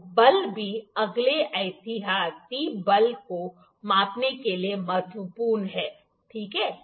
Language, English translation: Hindi, So, the force is also important measuring force next precaution, ok